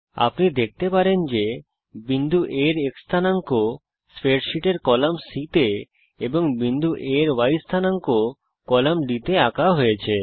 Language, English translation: Bengali, You can see that the x coordinate of point A is traced in column C of the spreadsheet and y coordinate of point A in column D